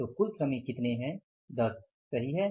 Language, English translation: Hindi, So, total workers are how much